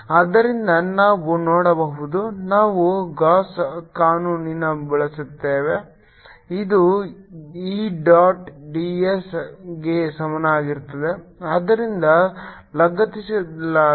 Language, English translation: Kannada, so we can see, we use the gausses law which is e dot d s equal to